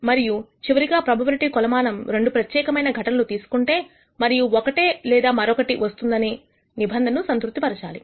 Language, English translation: Telugu, And finally, the probability measure should also satisfy this condition that if you consider two exclusive events and say whether one or the other occurs